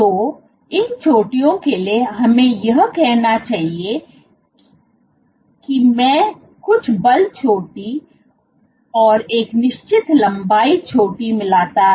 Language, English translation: Hindi, So, for these peaks let us say I get certain force peak and a certain length peak